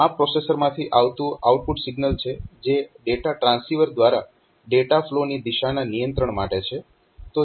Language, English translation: Gujarati, So, this is the signal from processor coming out of the processor to controller direction of data flow through the data transceiver